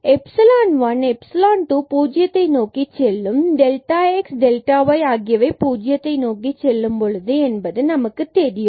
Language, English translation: Tamil, We already know that this epsilon 1 and epsilon 2 they go to 0 as delta x goes and delta y go to 0